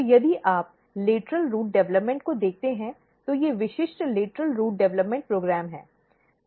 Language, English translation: Hindi, So, if you look the lateral root development, this is these are the typical lateral root development program